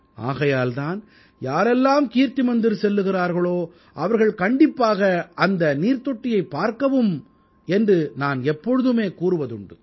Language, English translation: Tamil, As I always say that whosoever visits KirtiMandir, should also pay a visit to that Water Tank